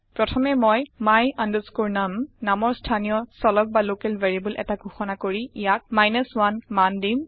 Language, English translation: Assamese, First I declare a local variable my num and assign the value of 1 to it